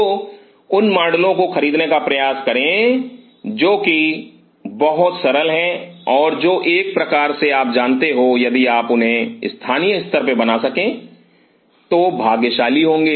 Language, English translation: Hindi, So, try to by models which are very simple and which are kind of if you can get them made locally where very fortunate